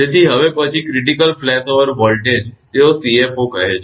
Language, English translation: Gujarati, So, now then critical flashover voltage they call CFO